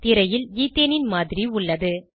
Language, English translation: Tamil, This is a model of ethane on screen